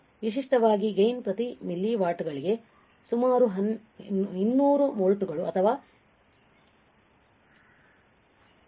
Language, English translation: Kannada, Typical the gain is about 200 volts per milli watts or 200000 right